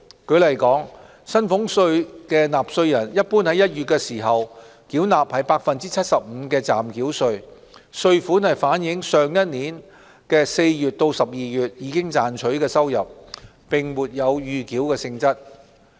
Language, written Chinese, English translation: Cantonese, 舉例說，薪俸稅納稅人一般於1月時繳納 75% 的暫繳稅，稅款是反映上一年4月至12月賺取的收入，並沒有預繳性質。, As an example salaries tax payers are normally required to pay 75 % of the provisional tax in January . The tax amount reflects the income earned between April and December of the preceding year and is not prepayment in nature